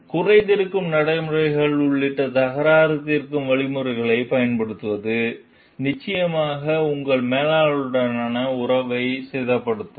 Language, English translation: Tamil, Using dispute resolution mechanism including a grievance procedures, will almost certainly damage relations with your manager